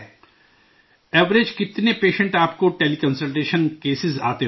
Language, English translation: Urdu, On an average, how many patients would be there through Tele Consultation cases